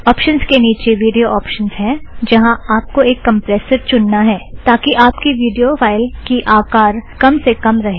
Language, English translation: Hindi, Under Options, you have Video Options where you can select a compressor for the recording so that the video file size is small